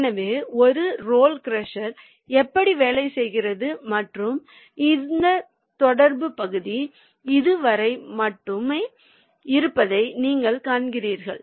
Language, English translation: Tamil, so this is how a roll crusher works and you see that this contact area is only up to this